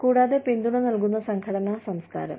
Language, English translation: Malayalam, And, supportive nurturing organizational culture